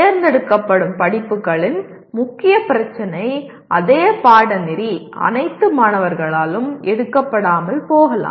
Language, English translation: Tamil, The main issue of elective is same elective may not be taken by all the students of the program